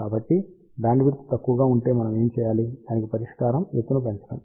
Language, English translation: Telugu, So, what do we do if bandwidth is small solution is increase the height